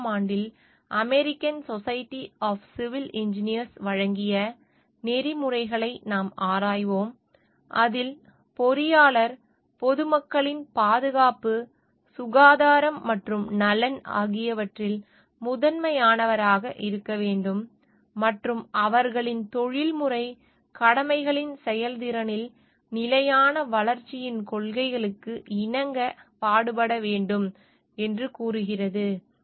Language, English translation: Tamil, And we will look into the codes of ethics for given by the American Society of Civil Engineers in 1997, which states that engineer shall hold paramount to the safety, health, and welfare of the public and shall strive to comply with the principles of sustainable development in the performance of their professional duties